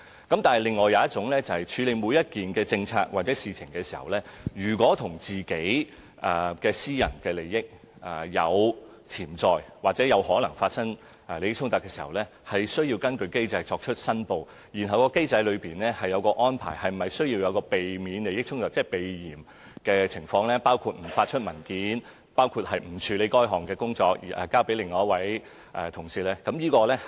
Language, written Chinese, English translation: Cantonese, 但是，另一種申報是處理每件政策或事情的時候，如果與私人利益有潛在或可能出現利益衝突，他們是需要根據機制申報，而機制當中，對是否需要避免利益衝突設有安排，即關乎避嫌的情況，包括不發出文件、不處理該項工作而交由其他同事處理。, Another kind of declaration is about the potential or possible conflict of interests between their personal interests and individual policies or issues handled by them . In this case they have to make declarations under the mechanism . Arrangements under the mechanism regarding avoidance of conflict of interests include measures for avoidance of suspicion such as not issuing documents to officials concerned withdrawing from and passing the duties in question to other officers instead